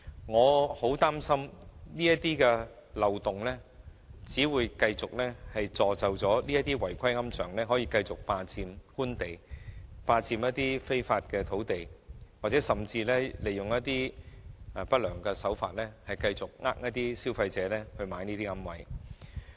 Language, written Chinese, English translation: Cantonese, 我很擔心這漏洞會繼續助紂違規龕場繼續霸佔官地，非法佔用土地，甚至利用不良手法繼續欺騙消費者購買這些違規龕位。, I am gravely worried that this loophole may encourage unauthorized columbaria operators to continue occupying Government land illegally or even continue using unscrupulous means to mislead consumers into buying their unauthorized niches